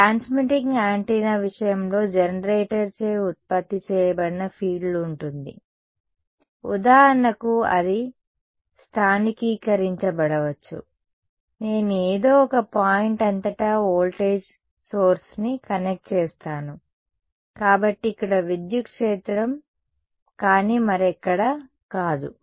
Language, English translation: Telugu, In case of a transmitting antenna there is going to be a field that is produced by the generator right, it may be localized for example, I connect a voltage source across some point, so the electric field here, but not somewhere else